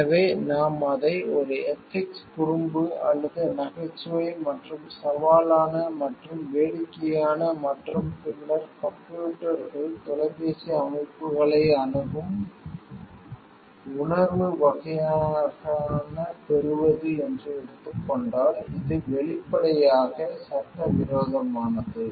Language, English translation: Tamil, So, if we take it to be a ethical prank or a joke and challenging, and amusing and then gaining sense sort of access to the computers, phone systems so which is obviously, illegal